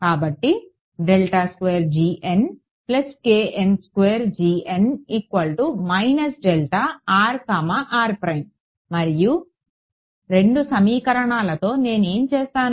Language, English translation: Telugu, And with these two equations what will I do then